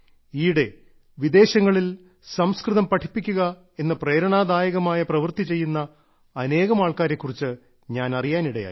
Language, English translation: Malayalam, Recently, I got to know about many such people who are engaged in the inspirational work of teaching Sanskrit in foreign lands